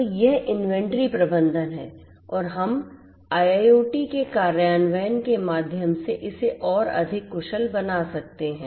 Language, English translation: Hindi, So, this is this inventory management and how we can make it much more efficient through the implementation of IIoT